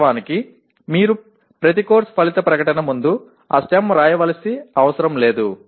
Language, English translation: Telugu, Actually you do not have to write that stem in front of every course outcome statement